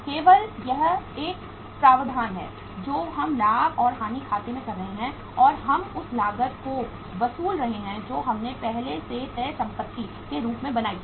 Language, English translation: Hindi, Only it is a provision we are making in the profit and loss account and we are recovering the cost which we have already made in the form of the fixed assets